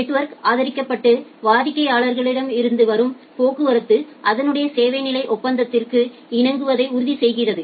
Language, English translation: Tamil, Supported in a network and ensuring that the traffic from a customer confirms to their service level agreement